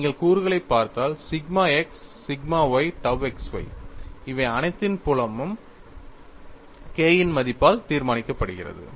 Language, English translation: Tamil, See, if you look at the components, sigma x sigma y tau xy, the strength of all these are determined by the value of K